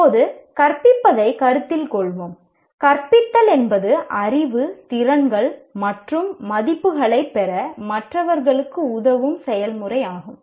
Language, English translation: Tamil, Kindly note that teaching is a process of helping others to acquire knowledge, skills, and values